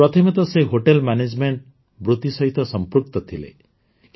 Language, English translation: Odia, Earlier he was associated with the profession of Hotel Management